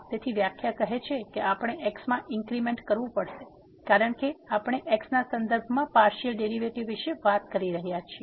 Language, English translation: Gujarati, So, the definition says that we have to make an increment in x because we are talking about the partial derivative with respect to